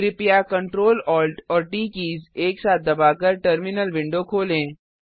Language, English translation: Hindi, Please open the terminal window by pressing Ctrl, Alt and T keys simultaneously